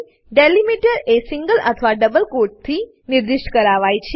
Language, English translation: Gujarati, Delimiters can be specified in single or double quotes